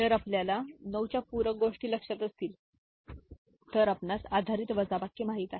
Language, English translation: Marathi, If we remember for 9’s complement you know based subtraction